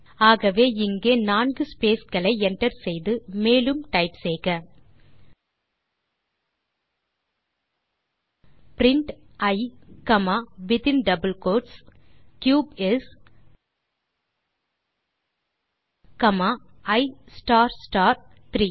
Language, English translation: Tamil, So enter four spaces there and then type the following Then type print i comma within double quotes cube is comma i star star 3